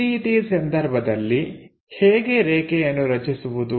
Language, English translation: Kannada, If that is the case how to construct that line